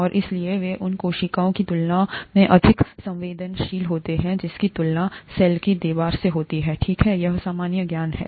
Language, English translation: Hindi, And therefore they are much more shear sensitive than when compared to the cells that have a cell wall, okay, this is common sense